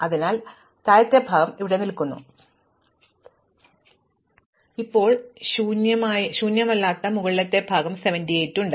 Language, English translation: Malayalam, So, the lower part stays here and now I have a non empty upper part namely 78